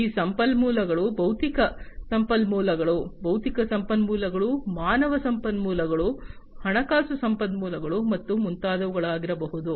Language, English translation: Kannada, These resources could be physical resources, intellectual resources, human resources, financial resources, and so on